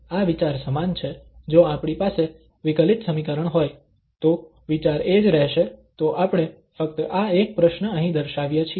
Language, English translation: Gujarati, The idea if we have the different differential equation, the idea will remain the same so we are just demonstrating here on this one problem